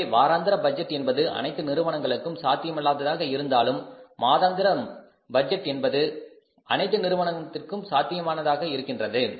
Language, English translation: Tamil, So, though the weekly budget is, budgeting is not possible for all the companies, but at least monthly budgeting, monthly budgeting is possible for all the companies